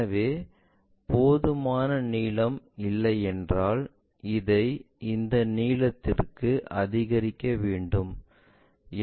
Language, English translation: Tamil, So, if we are not having that enough length, so what we can do is increase this length to locate it